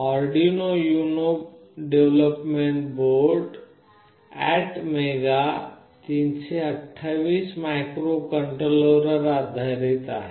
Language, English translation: Marathi, The Arduino UNO development board is based on ATmega 328 microcontroller